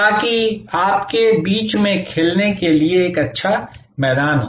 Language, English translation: Hindi, So, that you have a good ground to play with in between